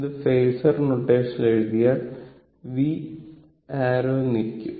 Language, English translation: Malayalam, So, this one we can write in phasor notation say v arrow ok